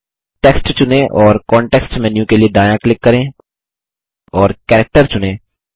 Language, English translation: Hindi, Select the text and right click for the context menu and select Character